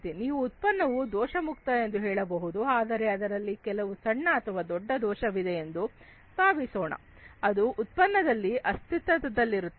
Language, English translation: Kannada, You say that the product is defect free, but let us say that there is some small or big defect that exists in the product